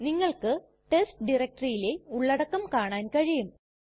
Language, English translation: Malayalam, You can see the contents of the test directory